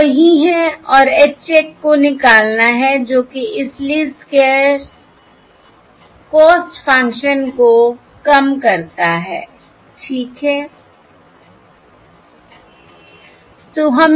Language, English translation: Hindi, This is the same, this is your, and one has to find the H check which is the which minimises this Least Squares cost function, all right